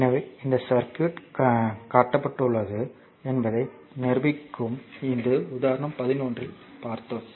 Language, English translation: Tamil, So, determine this circuit is shown this is say example 11